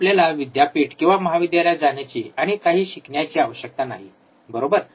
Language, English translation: Marathi, You do not really required to go to the university go to the or college and learn something, right